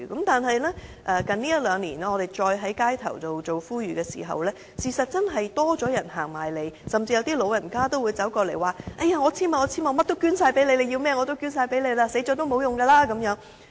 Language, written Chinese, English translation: Cantonese, 但是，這一兩年，我們再在街頭做呼籲的時候，的確多了市民自己走過來，甚至有長者走過來說："我簽署，甚麼都捐，你要甚麼我都捐，死後也沒有用"。, However according to the appeals done over the past couple of years more people were willing to actively approach us on the street . Some elderly people came to us and said I will sign up . I will donate all my organs whatever you want